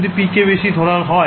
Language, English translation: Bengali, If you make p very high